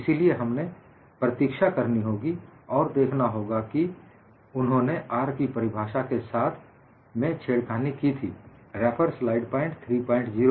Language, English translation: Hindi, So, we have to wait and see, and he plays with the definition of R